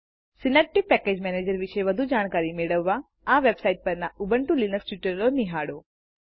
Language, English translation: Gujarati, For more information on Synaptic Package Manager, please refer to the Ubuntu Linux Tutorials on this website